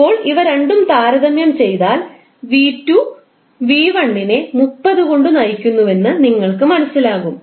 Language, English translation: Malayalam, So now if you compare these two you will come to know that V2 is leading by 30 degree